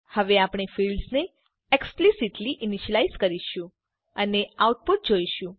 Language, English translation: Gujarati, Now, we will initialize the fields explicitly and see the output